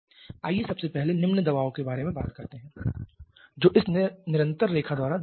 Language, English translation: Hindi, Let us first talk about the low pressure which is given by this continuous line